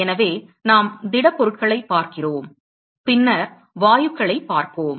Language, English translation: Tamil, So, we are looking at solids we will look at gases later